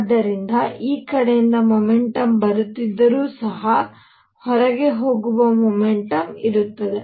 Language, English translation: Kannada, So, even if there is a momentum coming from this side; there will be momentum going out